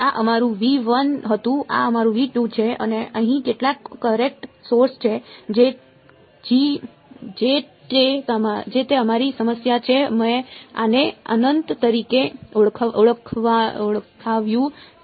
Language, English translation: Gujarati, This was our V 1 this is our V 2 and some current source over here J right that is our problem I have call this as infinity and this was source s ok